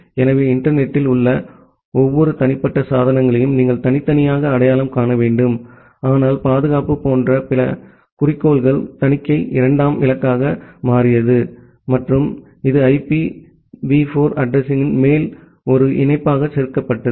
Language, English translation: Tamil, So, you need to uniquely identify every individual devices in the internet but the other goals like the security, the auditing that became the secondary goal and that was added as a patch on top of the IPv4 address